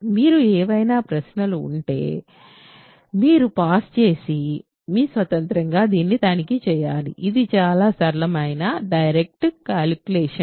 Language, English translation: Telugu, If you have any questions you should just pause and check this on your own, it is a very simple direct calculation right